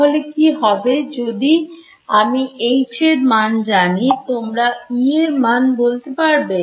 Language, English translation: Bengali, So, what is if I know H can you give me E yes what is E